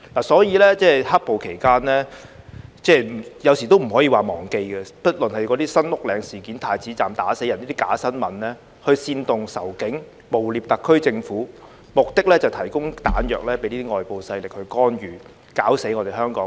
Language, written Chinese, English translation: Cantonese, 所以，"黑暴"期間，有時都不可以說忘記，不論是"新屋嶺事件"、"太子站打死人"等假新聞，去煽動仇警、誣衊特區政府，目的是提供彈藥給外部勢力作出干預，搞死我們香港。, Therefore during the black - clad violence which we cannot forget so easily there were pieces of fake news like the San Uk Ling incident and about some people being beaten to death at Prince Edward Station which were meant to incite hatred against the Police and slander the SAR Government . The purpose is to provide a pretext to external forces to intervene in our affairs and destroy Hong Kong